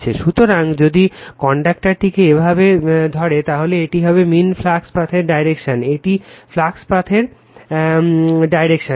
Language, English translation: Bengali, So, if you grabs the conductor like this, then this will be your the direction of the your mean flux path, this is the direction of the flux path right